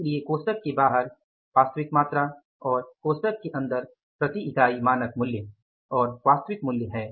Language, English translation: Hindi, So, outside the bracket is the actual quantity, inside the bracket is standard price and actual price per unit